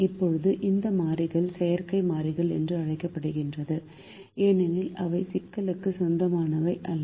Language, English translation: Tamil, now these variables are called artificial variable because they do not belong to the problem